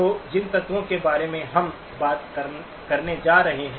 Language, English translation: Hindi, So the elements that we are going to be talking about